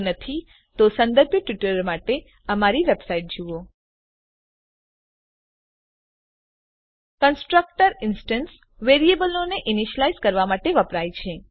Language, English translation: Gujarati, If not, for relevant tutorials please visit our website which is as shown, (http://www.spoken tutorial.org) Constructor is used to initialize the instance variables